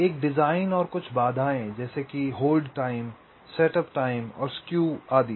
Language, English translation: Hindi, and what are some of the constraints, like hold time, skew, setup time, etcetera